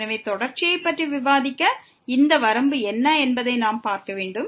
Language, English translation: Tamil, So, to discuss the continuity, we have to see what is the limit of this